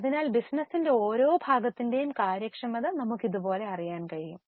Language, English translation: Malayalam, So, we can know the efficiency of each part of the business